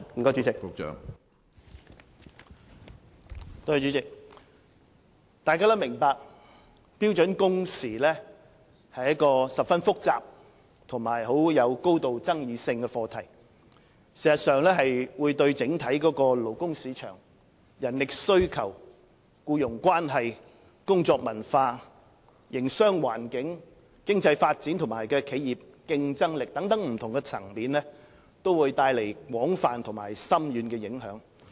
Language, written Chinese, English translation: Cantonese, 大家也明白標準工時是一個十分複雜和有高度爭議性的課題，事實上會對整體勞工市場、人力需求、僱傭關係、工作文化、營商環境，經濟發展和企業競爭力等不同層面，帶來廣泛和深遠的影響。, We all understand that the issue of standard working hours is highly complicated and controversial and will in fact bring about a wide range of far - reaching impacts on different areas such as the overall labour market manpower demand employment relationship work culture business environment economic development enterprise competitiveness and so on